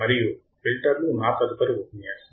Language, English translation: Telugu, And filters will be our next lecture